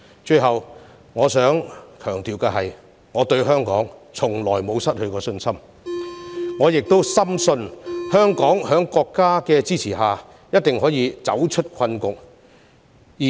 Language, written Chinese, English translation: Cantonese, 最後，我想強調，我對香港從來沒有失去信心，我亦深信香港在國家的支持下，一定可以走出困局。, Last but not least I wish to stress that I have never lost confidence in Hong Kong . I also strongly believe under the support of the country Hong Kong can definitely get out of the present predicament